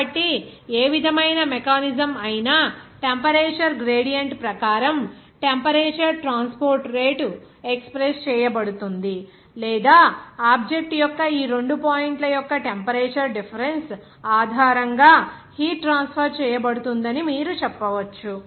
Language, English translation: Telugu, So, whatever mechanism will be there, the heat transport rate will be expressed as per temperature gradient or you can say that the temperature difference of these two points of the object and based on which that a heat will be transferred